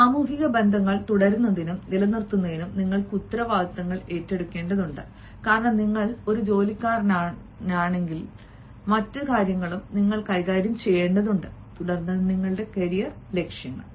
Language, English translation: Malayalam, and in order to continue and maintain these social relationships, you also have to have and, moreover, you are to take responsibilities also, because even though you are an employee, but then there are other things also which you have to handle